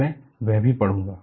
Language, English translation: Hindi, That also I will read